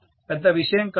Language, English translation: Telugu, Not a big deal